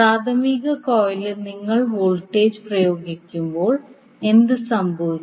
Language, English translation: Malayalam, When you apply voltage in the primary coil, so what will happen